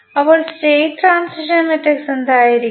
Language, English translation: Malayalam, So, what will be the state transition matrix